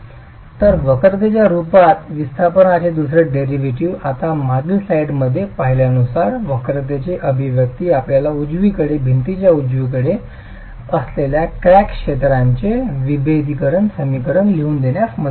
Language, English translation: Marathi, So the second derivative of the displacement as the curvature with now the expression for curvature derived as we saw in the previous slide is going to help us write down the differential equation for the cracked zone of the wall